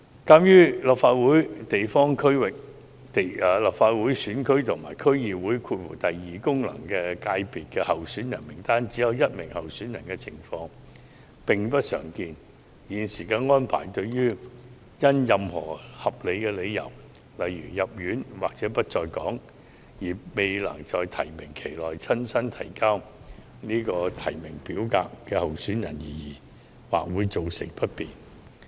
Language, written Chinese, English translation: Cantonese, 鑒於立法會地方選區及區議會功能界別候選人名單上只有一名候選人的情況並不常見，現時安排對因任何合理理由，如住院或不在港，未能在提名期內親身提交提名表格的候選人或會造成不便。, Given that it is not uncommon for a candidate list to consist of only one candidate in a GC or DC second FC of the Legislative Council the existing arrangement would be inconvenient to candidates who are unable to submit nomination forms in person for any justifiable reasons during the nomination period